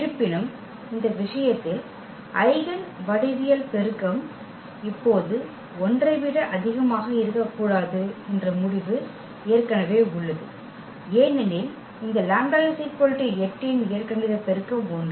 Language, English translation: Tamil, Though, we have already the result that the eigen the geometric multiplicity cannot be more than 1 now in this case, because the algebraic multiplicity of this lambda is equal to 8 is 1